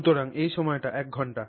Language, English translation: Bengali, So, let's say this is time one hour